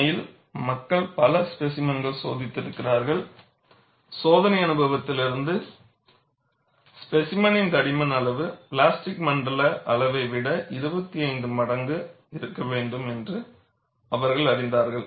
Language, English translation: Tamil, In fact, people have tested several specimens; from testing experience, they have arrived at the size of the specimen thickness should be, 25 times the plastic zone size